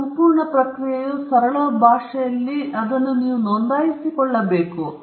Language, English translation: Kannada, This entire process in a very simple language we can call it registration